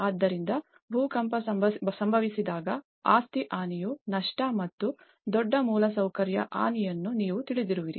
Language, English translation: Kannada, So, when an earthquake hits, loss of property damage and you know huge infrastructure damage that is what one can witness